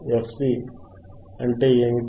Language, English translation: Telugu, What is f C